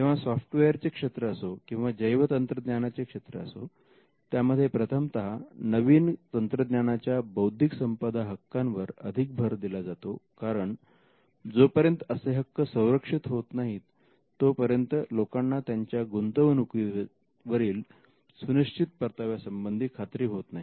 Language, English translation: Marathi, Be it software or biotechnology we see that initially there is a focus on IP in a new technology because, till then the rights have not crystallized in a way in, which people know how their investment can be recouped